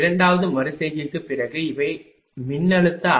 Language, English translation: Tamil, after second iteration these are the voltage magnitude V 2 are 0